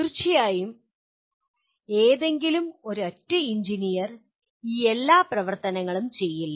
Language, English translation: Malayalam, Of course, any single engineer will not be doing all these activity